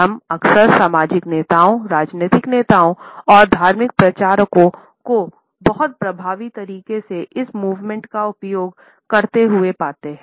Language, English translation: Hindi, We often find social leaders, political leaders and religious preachers using this particular movement in a very effective manner